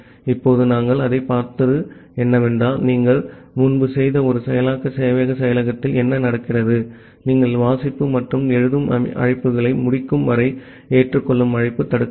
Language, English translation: Tamil, Now, what we have seen that, what happens in an iterative server implementation that we have done earlier that the accept call is blocked until you have completed the read and the write calls